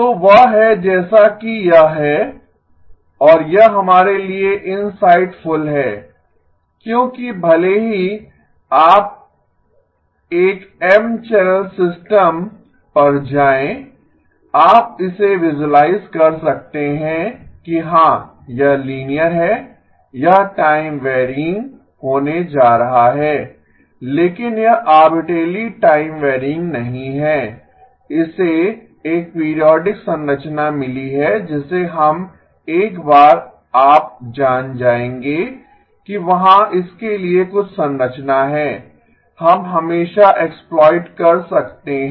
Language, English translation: Hindi, So that is that is what it is and this is insightful for us because even if you go to an M channel system, you can visualize it as yes it is linear, it is going to be time varying but it is not arbitrarily time varying, it has got a periodic structure to it which we once you know that there is some structure to it, we can always exploit